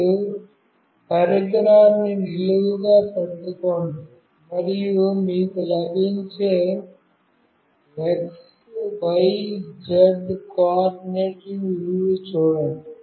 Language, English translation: Telugu, You hold the device vertically up, and see what values of x, y, z coordinate you are getting